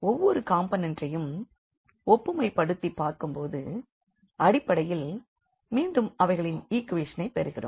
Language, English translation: Tamil, So, comparing the each component we will get basically we will get back to these equations